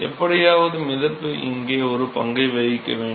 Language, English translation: Tamil, Somehow the buoyancy has to play a role here right